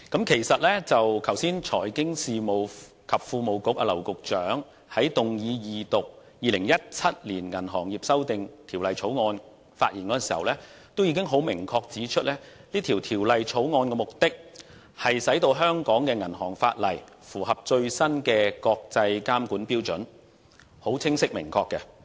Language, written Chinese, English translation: Cantonese, 其實剛才財經事務及庫務局劉局長發言動議二讀《2017年銀行業條例草案》時，已明確指出這項《條例草案》的目的，是令香港的銀行法例符合最新的國際監管標準，是很清晰明確的。, As a matter of fact during the Second Reading of the Banking Amendment Bill 2017 the Bill earlier the Secretary for Financial Services and the Treasury James Henry LAU has pointed out clearly and definitively in his speech that the Bill seeks to bring the banking legislation of Hong Kong up - to - date in accordance with the latest international standards